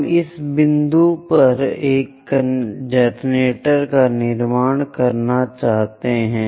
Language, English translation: Hindi, We would like to construct a generator at this point